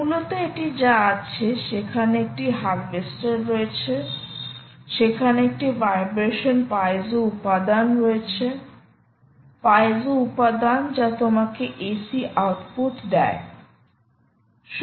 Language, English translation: Bengali, basically, what it has is: there is a harvester, there is a vibration piezo element, piezo element which essentially gives you a c output